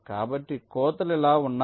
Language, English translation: Telugu, so let say, the cuts are like this